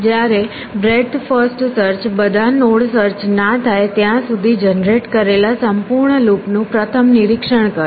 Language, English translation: Gujarati, Whereas breadth first search will first inspect the entire loop generate till then of all those nodes